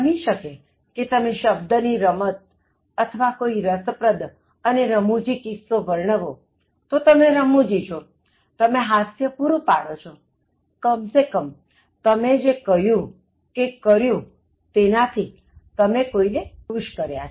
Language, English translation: Gujarati, So, maybe you use a word play or you share a very interesting and funny anecdote, but then, you are humourous, you provide laughter, at least you make them feel amused about something that you said or something that you do